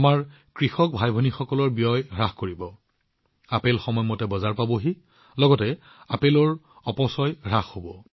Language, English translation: Assamese, This will reduce the expenditure of our farmer brothers and sisters apples will reach the market on time, there will be less wastage of apples